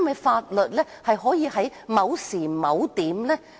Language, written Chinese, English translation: Cantonese, 法律可以只適用於某時某點。, Laws may only be applicable at a particular time and in a particular place